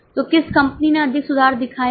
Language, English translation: Hindi, So which company has shown more improvement